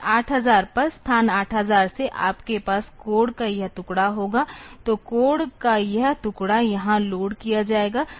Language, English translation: Hindi, Then at 8000; from location 8000 you will have this piece of code, so this piece of code will be loaded here